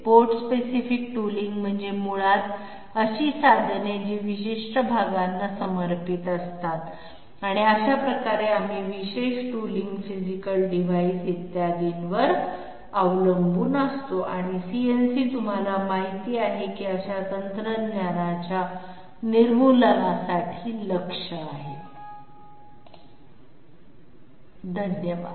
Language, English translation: Marathi, Part specific tooling means basically tools which are dedicated to specific parts and that way we are very much depended upon special tooling physical devices, etc and CNC is you know targeted towards elimination of such technology, thank you